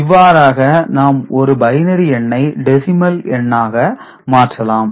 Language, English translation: Tamil, So, this is the way we can convert from binary to decimal ok